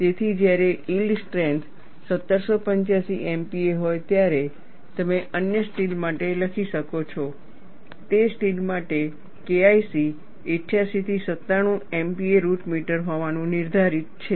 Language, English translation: Gujarati, So, you could write for the other steel, when the yield strength is 1785 MPa for that steel the K 1 C is determined to be 88 to 97 MPa root meter